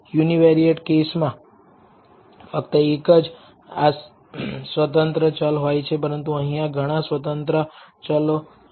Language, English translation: Gujarati, In the univariate case there is only one independent variable, but here there are several independent variables